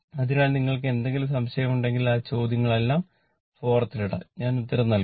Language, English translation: Malayalam, So, if you have any doubt you can put all that questions in the forum I will give you the answer right